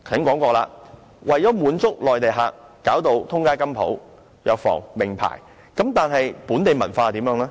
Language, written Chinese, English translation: Cantonese, 我剛才提到，為了滿足內地旅客，現時滿街也是金鋪、藥房和名牌店鋪，但本地文化又何去何從呢？, As I mentioned just now to satisfy Mainland visitors now jewellery shops drug stores and shops of famous brands abound in the territory . But where is the local culture?